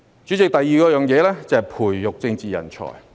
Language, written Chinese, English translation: Cantonese, 主席，第二是培育政治人才。, President the second point is about nurturing political talents